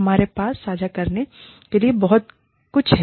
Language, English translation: Hindi, We have lots, to share